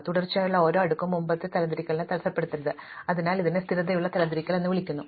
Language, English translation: Malayalam, So, each successive sort should not disturb the previous sort, so this is called stable sorting